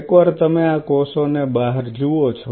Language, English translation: Gujarati, Once you see these cells out